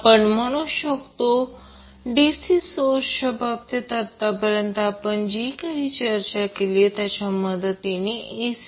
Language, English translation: Marathi, So we will say that the AC circuit analysis with the help of what we discussed till now in case of DC source